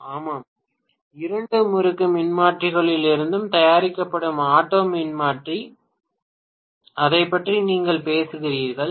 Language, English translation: Tamil, Yes, Auto transformer that is made from two winding transformers, right that is what you are talking about